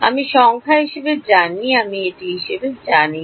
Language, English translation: Bengali, I know H as numbers I do not know it as